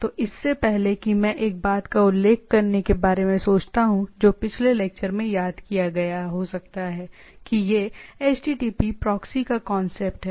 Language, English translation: Hindi, So, before that one thing I thought of mentioning which might have missed in the previous lecture that is this a concept of HTTP proxy right